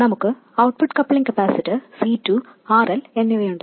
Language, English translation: Malayalam, And we have the output coupling capacitor C2 and RL